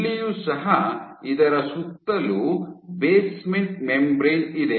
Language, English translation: Kannada, Even here, surrounded by this is the basement membrane